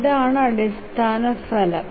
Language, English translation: Malayalam, This is the basic result